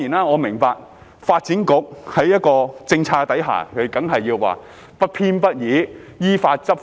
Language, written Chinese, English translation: Cantonese, 我明白，在一個政策之下，發展局當然說要不偏不倚、依法執法。, I understand that under a policy the Development Bureau would certainly say that it must impartially enforce the law as it is